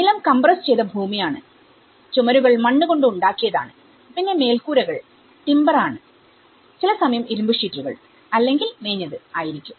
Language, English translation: Malayalam, So, floors have been compressed earth, walls are made with mud or timber roofs, sometimes an iron sheet or thatch